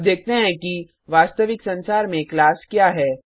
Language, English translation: Hindi, Now let us see what is a class in real world